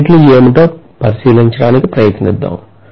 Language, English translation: Telugu, Let us try to take a look at what the units are